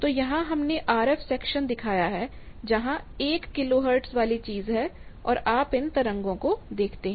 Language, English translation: Hindi, So, here we have shown which is the RF sections, where is the 1 kilo hertz thing, and you see the wave forms